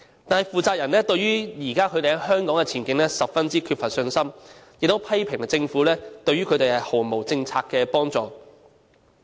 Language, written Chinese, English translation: Cantonese, 但是，負責人對於他們現時在香港的前景，卻十分缺乏信心，亦批評政府對於他們毫無政策上的幫助。, However the management of this manufacturer all lack any confidence in Hong Kongs prospects . They criticize the Government for failing to provide any policy support